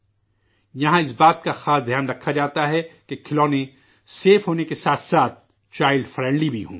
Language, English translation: Urdu, Here, special attention is paid to ensure that the toys are safe as well as child friendly